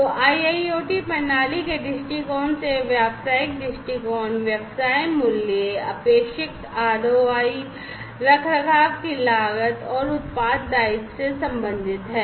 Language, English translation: Hindi, So, the business viewpoint from the perspective of an IIoT system is related to the business value, expected ROI, cost of maintenance, and product liability